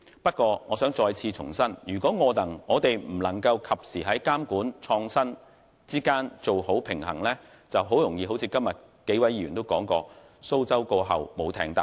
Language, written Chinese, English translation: Cantonese, 不過，我想重申，如果我們未能及時在監管與創新之間取得平衡，便會很容易出現一如今天數位議員所說的情況——"蘇州過後無艇搭"。, But I wish to reiterate that if we fail to strike a balance between regulation and innovation in time a situation mentioned by several Members today will emerge very easily―After leaving Suzhou a traveller will find it hard to get a ride on a boat―meaning opportunities will not knock at your door again if you let slip of one